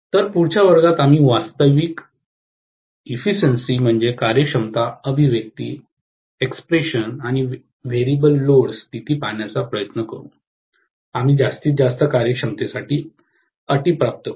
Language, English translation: Marathi, So, in the next class we will try to look at the actual efficiency expression and the variable load conditions, we will derive the conditions for maximum efficiency